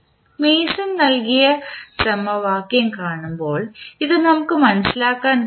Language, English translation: Malayalam, So this we can understand when we see the formula which was given by Mason